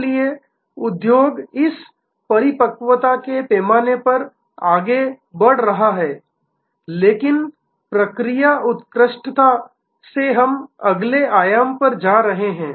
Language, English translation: Hindi, So, the industry is moving on this maturity scale, but from process excellence we are going to the next dimension